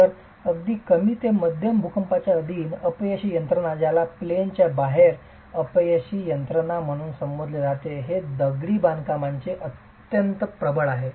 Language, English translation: Marathi, So even under low to moderate earthquakes this sort of a failure mechanism which is referred to as an out of plane failure mechanism is extremely predominant in masonry constructions